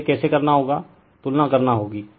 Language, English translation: Hindi, Now, how you will do this, you have to compare